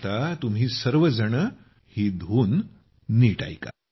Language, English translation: Marathi, Listen carefully now to this tune